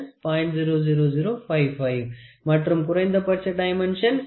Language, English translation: Tamil, 00055 and the minimum dimension is going to be 57